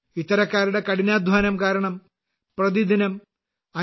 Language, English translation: Malayalam, Due to the hard work of such people, 5